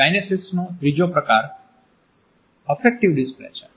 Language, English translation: Gujarati, The third category of kinesics is effective displays